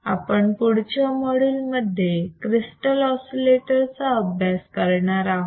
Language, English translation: Marathi, And let us see in the next module, crystal oscillators and then we will move forward